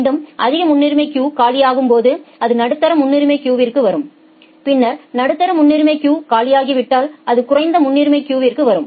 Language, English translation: Tamil, Again when the high priority queue becomes empty it will come to the medium priority queue and then once the medium priority queue becomes empty it will come to the low priority queue